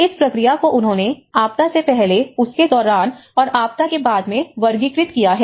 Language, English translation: Hindi, So, this is how they looked at the process of before disaster, during disaster and the post disaster